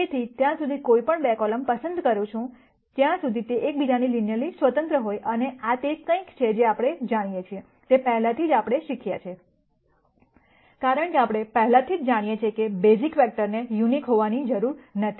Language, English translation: Gujarati, So, I can choose any 2 columns, as long as they are linearly independent of each other and this is something that we know, from what we have learned before, because we already know that the basis vectors need not be unique